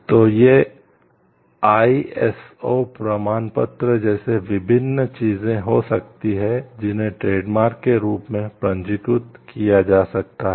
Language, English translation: Hindi, So, these can be different things like ISO certifications which can be used as registered as trademarks